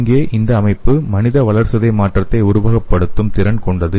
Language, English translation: Tamil, So here these system are capable of simulating the human metabolism